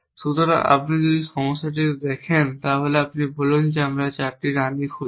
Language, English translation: Bengali, So, if you look at this problem let say we are looking 4 queen and how can we represent this